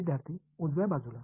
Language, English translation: Marathi, The right hand side